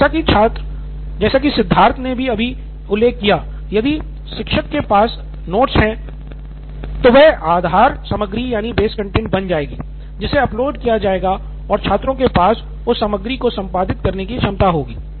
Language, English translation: Hindi, So if the teacher, like he mentioned, if the teacher has the note, then that would become the base content, that would be uploaded and students would have the ability to edit that content